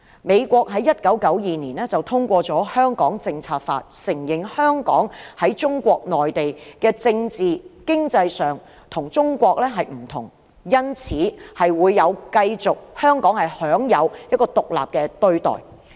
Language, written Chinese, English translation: Cantonese, 美國在1992年通過了《香港政策法》，承認香港在政治、經濟上與中國內地不同，因此，香港可以繼續享有獨立的待遇。, The United States passed the Hong Kong Policy Act in 1992 which recognizes that Hong Kong is different from the Mainland China in respect of its political and economic systems